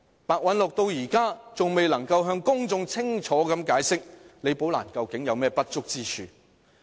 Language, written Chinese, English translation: Cantonese, 白韞六至今仍未能向公眾清楚解釋，李寶蘭究竟有何不足之處。, And Simon PEH has so far failed to tell the public clearly what shortcomings Rebecca LI had